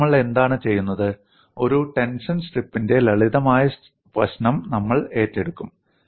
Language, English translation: Malayalam, Now, what we will do is, we will take up a simple problem of a tension strip